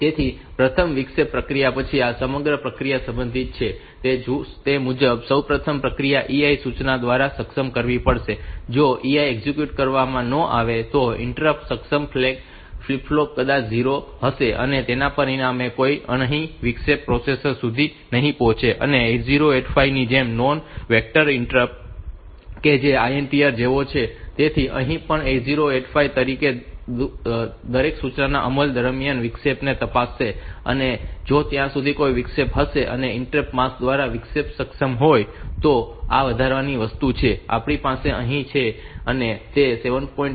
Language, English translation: Gujarati, this entire process is concerned, first of all the process has to be enabled through the E I instructions, if E I is not executed then that that interrupt enable flag maybe flip flop maybe 0 as a result none of the interruption be reaching the processor and 8085 just like that the non vectored inter non vectored interrupt that is like that INTR so here also 885 will check the interrupt during the execution of every instruction and if there is an interrupt and the interrupt is enabled by the interrupt mask, so this is the additional thing that we have here it will check that; M 7